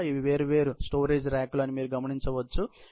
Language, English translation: Telugu, You can see these are the different storage racks, which are into picture